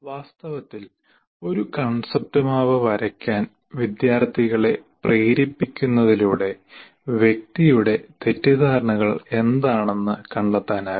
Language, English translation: Malayalam, In fact, making students to draw a concept map, one can find out what are the misunderstandings of the individual